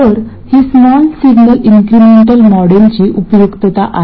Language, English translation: Marathi, So, this is the utility of the small signal incremental model